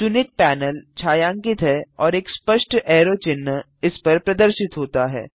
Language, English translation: Hindi, The chosen panel is shaded and a clear arrow sign appears over it